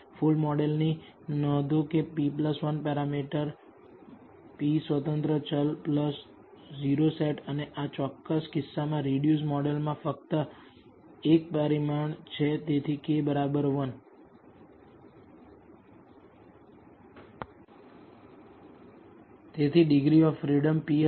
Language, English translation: Gujarati, Notice the full model as p plus 1 parameters p independent variable plus the o set and the reduced model in this particular case contains only 1 parameter, so, k equals 1 So, the degrees of freedom will be p